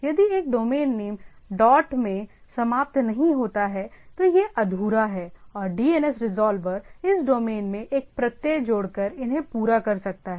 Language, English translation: Hindi, If a domain name does not end in a dot it is incomplete and the DNS resolver may complete these by appending a suffix to this domain